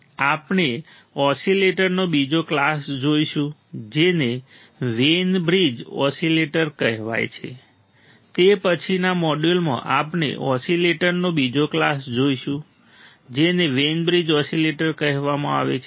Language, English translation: Gujarati, We will see another class of oscillator that is called a Wein bridge oscillator, all right the next module what we will see another class of oscillators that are called Wein bridge oscillator